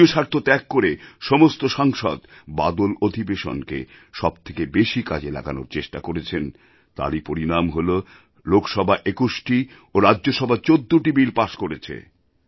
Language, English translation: Bengali, All the members rose above party interests to make the Monsoon session most productive and this is why Lok Sabha passed 21 bills and in Rajya Sabha fourteen bills were passed